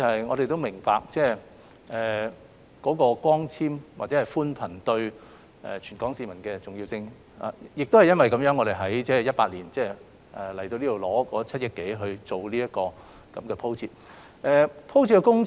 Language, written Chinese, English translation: Cantonese, 我們明白光纖或寬頻對全港市民的重要性，亦因為如此，我們在2018年向立法會申請7億多元進行光纖鋪設工程。, We understand the importance of fibre - based networks or broadband services to the people of the whole territory and it was precisely due to this reason that we submitted an application to the Legislative Council in 2018 for a funding of over 700 million for laying fibre - based networks